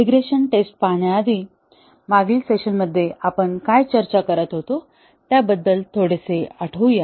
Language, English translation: Marathi, Before we start looking at regression testing, let us recall it little bit, about what we were discussing in the last session